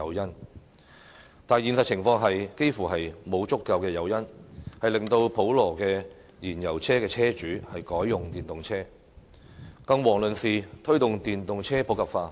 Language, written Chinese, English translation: Cantonese, 然而，現實情況幾乎沒有足夠誘因，令到普羅的燃油車車主改用電動車，更遑論推動電動車普及化。, However the current situation hardly provides adequate incentives for ordinary fuel vehicles owners to switch to EVs not to mention to promote the adoption of EVs